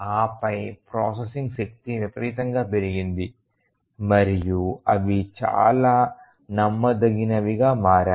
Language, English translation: Telugu, And then the processing power has tremendously increased and also these are become very very reliable